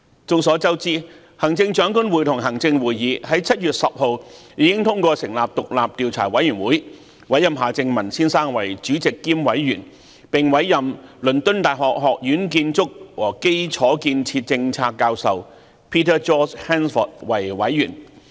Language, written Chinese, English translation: Cantonese, 眾所周知，行政長官會同行政會議在7月10日已通過成立獨立調查委員會，委任夏正民先生為主席兼委員，並委任倫敦大學學院建築和基礎建設政策教授 Peter George HANSFORD 為委員。, As we all know an independent Commission of Inquiry was appointed by the Chief Executive in Council on 10 July with Mr Michael John HARTMANN appointed the Chairman and Commissioner of the Commission and Professor Peter George HANSFORD Professor of Construction and Infrastructure Policy at University College London appointed the Commissioner